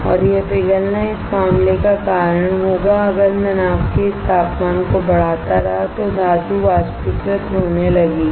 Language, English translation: Hindi, And this melting will cause the matter if I keep on increasing this temperature of the boat the metal will start evaporating